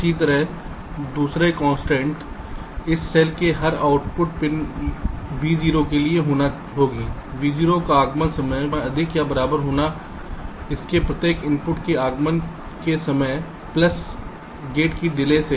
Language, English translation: Hindi, this is one similarly second constraint will be: for every output pin v zero of a cell, the arrival time at v zero, arrival time at v zero should be greater than or equal to the arrival time of each of its inputs plus the gate delay